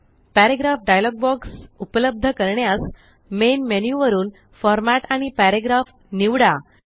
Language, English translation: Marathi, To access the Paragraph dialog box from the Main menu, select Format and select Paragraph